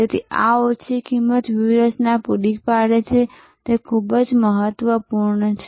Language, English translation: Gujarati, So, this low cost provide a strategy is very important